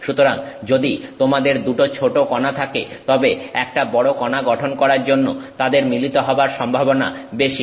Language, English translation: Bengali, So, if you have two tiny particles, they are more likely to coales to form a larger particle, okay